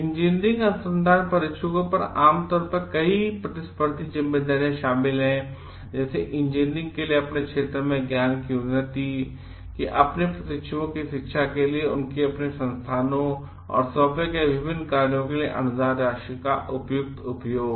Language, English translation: Hindi, Engineering research supervisors typically have many competing responsibilities which include; like the for the advance of knowledge in their field for engineering, then for the educational of their trainees for the wise and appropriate use of grant funding for their institutions and various works assigned to them